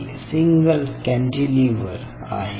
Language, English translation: Marathi, ok, so this is your single cantilever